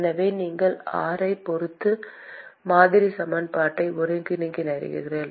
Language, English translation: Tamil, So, you integrate model equation with respect to r